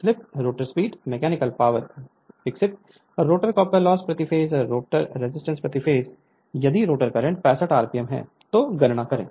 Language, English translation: Hindi, Calculate the slip, the rotor speed, mechanical power developed, the rotor copper loss per phase, the rotor resistance per phase, if the rotor current is 65 ampere